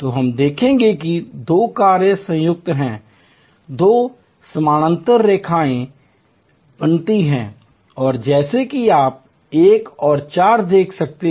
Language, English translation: Hindi, So, let us see here two functions are combined, two parallel lines are created and as you can see 1 and 4